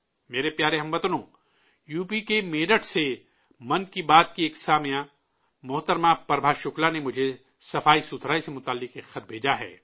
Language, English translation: Urdu, a listener of 'Mann Ki Baat', Shrimati Prabha Shukla from Meerut in UP has sent me a letter related to cleanliness